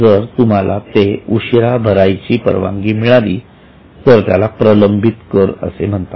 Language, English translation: Marathi, If you are allowed to defer the amount of tax, it will be called as a deferred tax